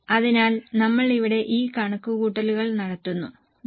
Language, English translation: Malayalam, So, we will do this calculation here